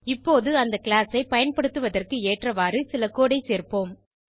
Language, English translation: Tamil, Now let us add some code that will make use of this class